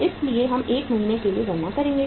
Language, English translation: Hindi, So we will be calculating for 1 month